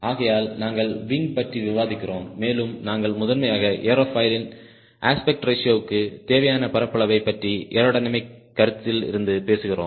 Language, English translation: Tamil, so you are discussing about wing and primarily we are talking about the area required to the aspect ratio of the aerofoil from aerodynamic consideration